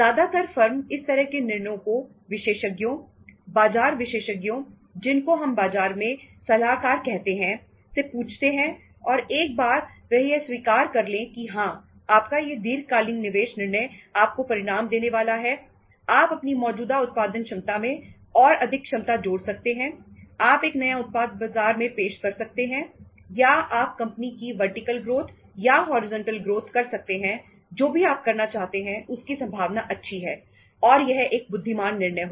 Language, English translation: Hindi, Normally, the firm refers this kind of decisions to the experts, market experts so which you can call it the consultants in the market and once they approve that yes your long term investment decision is going to deliver the results you can add the capacity to the existing production capacity, you can introduce a new product in the market or you can go for say say uh say you can call it as the vertical uh growth of the company or the horizontal growth of the company whatever you want to do thatís going to be quite feasible and thatís going to be a wise decision